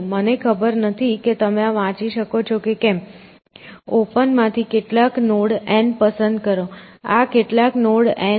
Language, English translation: Gujarati, Now, notice that, there is the very, I do not know whether you can read this, pick some node N from open, so this some node is there N